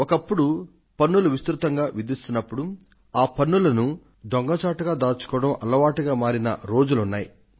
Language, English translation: Telugu, There was a time when taxes were so pervasive, that it became a habit to avoid taxation